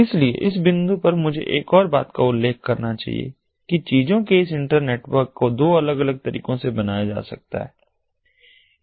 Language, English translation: Hindi, so at this point i should also mention one more thing: that this internetwork of things can be construed to be built in two different ways